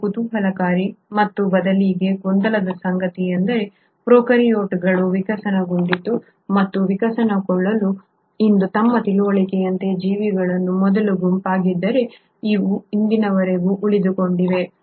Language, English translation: Kannada, And what is intriguing and rather perplexing is to note that though prokaryotes evolved and were the first set of organisms as of our understanding today to evolve, they have continued to survive till the present day today